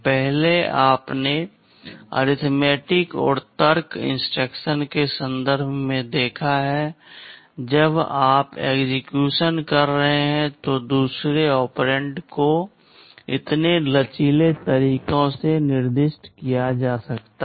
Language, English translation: Hindi, Earlier you have seen in terms of the arithmetic and logic instructions when you are executing, the second operand can be specified in so many flexible ways